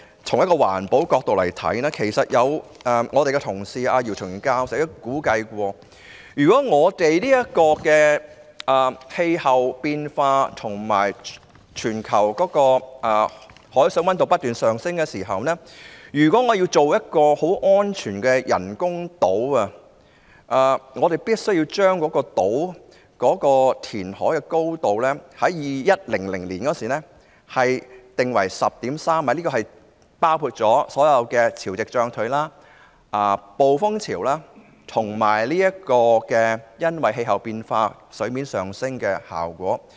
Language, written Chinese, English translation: Cantonese, 從環保角度來看，前同事姚松炎教授曾估計，如果氣候變化及全球海上溫度不斷上升，要建造一個很安全的人工島，人工島的填海高度在2100年必須訂為 10.3 米，這個標準已考慮到潮汐漲退、暴風潮及水面因氣溫變化而上升的情況。, From the perspective of environmental protection according to the estimate of my former colleague Dr YIU Chung - yim in view of climate change and the continuous rise in global sea temperature the reclamation height of a safe artificial island to be constructed must be set at 10.3 m in 2100 . This standard has taken into account the tidal range storm surge and rise in water surface due to temperature changes